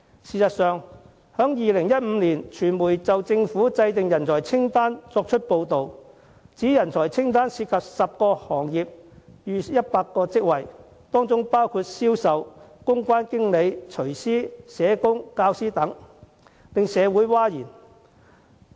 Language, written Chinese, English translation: Cantonese, 事實上，傳媒早在2015年已報道，有關人才清單涉及10個行業逾100個工種，當中包括銷售、公關經理、廚師、社工和教師等，當時令社會譁然。, In fact the media reported in as early as 2015 that the talent list involved more than 100 types of work in 10 industries including sales public relations managers chefs social workers and teachers . At that time the community was outraged